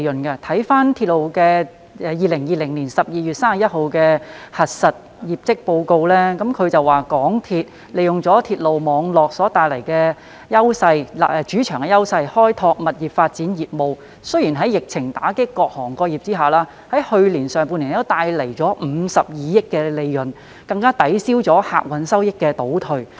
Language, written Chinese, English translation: Cantonese, 根據港鐵公司截至2020年12月31日止年度的經審核業績公告，港鐵公司利用鐵路網絡所帶來的主場優勢開拓物業發展業務，雖然在疫情打擊各行各業下，在去年上半年帶來52億元的利潤，更抵銷了客運業務的收益倒退。, According to the Announcement of Audited Results for the year ended 31 December 2020 MTRCL has leveraged its home advantage brought about by the railway network to develop property development business . This has not only generated a profit of 5.2 billion in the first half of last year when various industries were hard hit by the epidemic but has also offset the decline in revenue from passenger operations